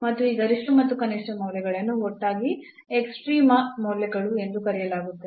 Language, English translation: Kannada, And these maximum and minimum values together these are called the extreme values